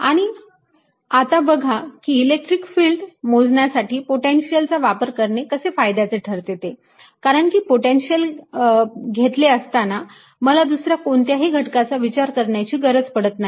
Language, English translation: Marathi, and now you see the advantage of using potential to calculate electric field later, because in the potential i don't have to worry about any components